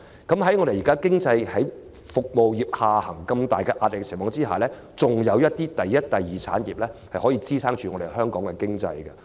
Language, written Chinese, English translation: Cantonese, 那麼服務業一旦下行，如今天般面對巨大壓力，則仍有第一、第二產業支撐香港經濟。, Granting this even if the service industry declines just like today when it is under tremendous pressure there will still be the primary and secondary industries to prop up Hong Kong economy